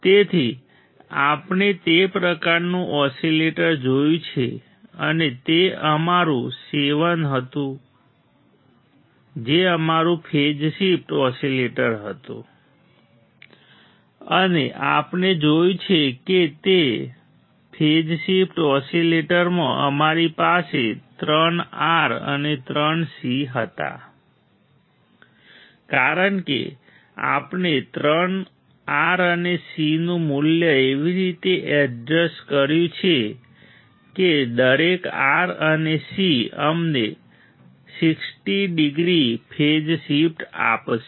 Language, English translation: Gujarati, So, we have seen that kind of oscillator and that was our 7that was our phase shift oscillator and we have seen that in the phase shift oscillator we had three R and three C because we have adjusted the value of R and C such that each R and C will give us 60 degrees phase shift